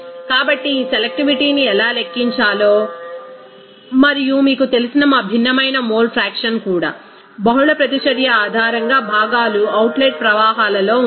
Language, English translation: Telugu, So, this is the concept also how to calculate that selectivity and also what the mole fraction of our different you know, components are in the outlet streams based on the multiple reaction